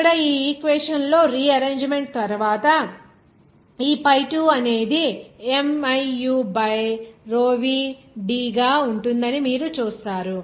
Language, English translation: Telugu, Here in this equation, you will see that after rearrangement, this pi2 will be as miu by row v D